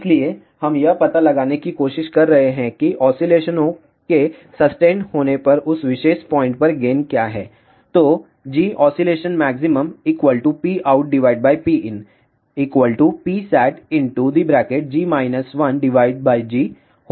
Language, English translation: Hindi, So, we are trying to find out what is the gain at that particular point when the oscillations are sustained